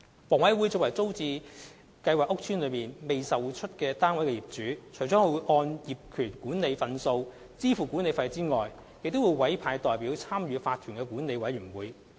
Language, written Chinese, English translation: Cantonese, 房委會作為租置屋邨內未出售單位的業主，除根據大廈公契就有關業權管理份數支付管理費外，亦會委派代表參與法團的管委會。, HA as the owner of unsold flats in TPS estates appoints representatives to participate in management committees of OCs apart from paying the management fee according to its ownership shares under DMCs